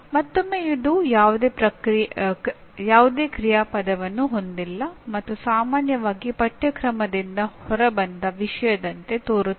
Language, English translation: Kannada, Once again, it is a no action verb and generally sounds like topic pulled out of the syllabus